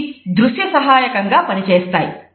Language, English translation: Telugu, So, they like a visual aid